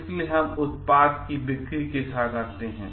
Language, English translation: Hindi, So, there we come up with the sale of the product